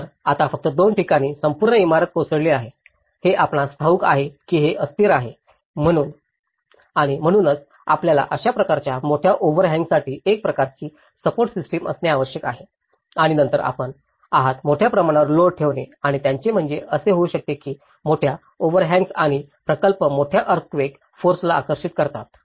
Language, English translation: Marathi, So, now just on the two stilts, the whole building has been collapsed so, this is very unstable you know and so you need to have some kind of support system that is how in order to have this kind of large overhangs and then you are keeping load over a load and it may collapse that’s what it says, large overhangs and projects attract large earthquake forces